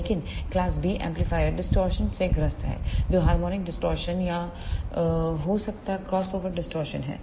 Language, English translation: Hindi, But the class B amplifier suffers from the distortion which could be the harmonic distortion or the crossover distortion